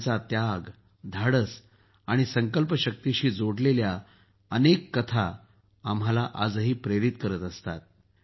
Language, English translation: Marathi, The stories related to his sacrifice, courage and resolve inspire us all even today